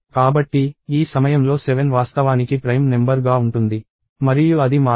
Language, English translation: Telugu, So, at this point 7 is actually guilty of being prime and it does not change